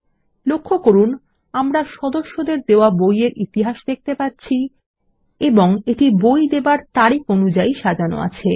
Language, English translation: Bengali, Notice that, we see a history of books issued to members and ordered by Issue Date